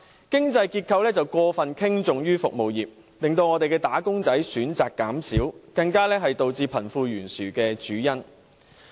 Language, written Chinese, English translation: Cantonese, 經濟結構過分傾重於服務業，令"打工仔"選擇減少，更是導致貧富懸殊的主因。, The over - reliance of the economic structure on the service industry has reduced employees choices and is even the main cause of our wealth disparity